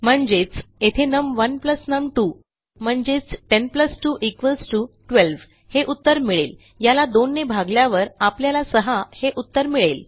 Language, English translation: Marathi, So, here what it will do is num1 plus num2 which is 10 plus 2 which gives us 12 divided by 2 which should give us 6